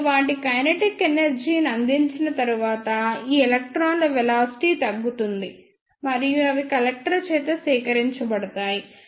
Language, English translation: Telugu, And after giving up their ah kinetic energy, the velocity of these electrons will be reduced and they will be collected by the collector